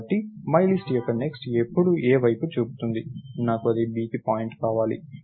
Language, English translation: Telugu, So, myList's next is now pointing to A, I want that point to B, right